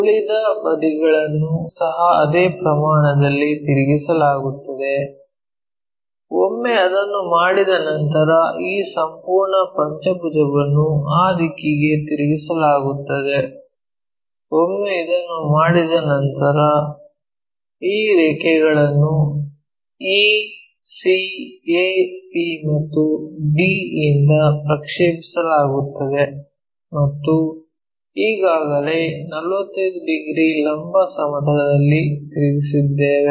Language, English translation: Kannada, So, remaining sides also rotated by the same amount, once that is done this entire pentagon will be turned into that direction, once that is done again project these lines from e, c, a, b and c and already we have rotated into 45 degreesin the vertical plane